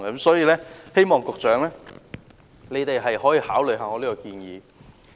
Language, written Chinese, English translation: Cantonese, 所以，希望局長可以考慮我的建議。, Therefore I hope the Secretary can consider my suggestion